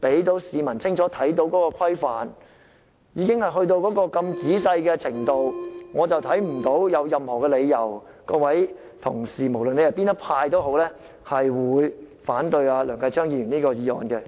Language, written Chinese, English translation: Cantonese, 我們的要求已經列得如此仔細，我看不到有任何理由，足以支持任何派別的同事反對梁繼昌議員的議案。, Our requests have been specified in details . I do not see any sufficient justifications to support colleagues of any camp to oppose Mr Kenneth LEUNGs motion